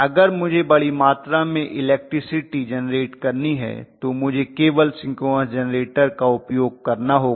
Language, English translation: Hindi, If I have to generate a large capacity electricity power, then I have to use only synchronous generator